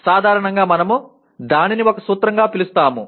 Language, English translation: Telugu, Generally, we call that as a principle